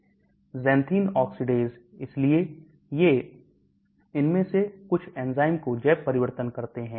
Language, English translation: Hindi, Xanthene oxidase, so these, some of these enzymes which do the bio transformation